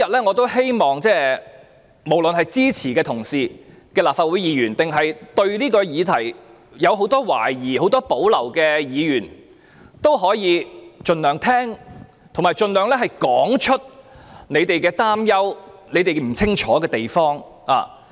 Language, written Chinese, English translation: Cantonese, 我希望無論是支持議案的同事，還是對這項議題有很多懷疑和保留的議員，今天均可盡量聆聽和說出他們的擔憂和不清楚之處。, I hope all fellow Members in this Council be they in support of my motion or have serious doubts and reservations about the subject matter will try to listen as much as possible and talk about their worries and confusions today